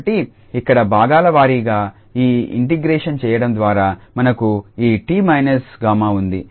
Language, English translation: Telugu, So, here by doing this integration by parts we have this t minus tau as it is